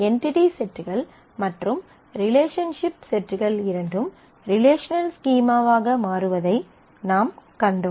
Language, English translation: Tamil, And we have seen that both the entity sets as well as the relationship sets become relational schemas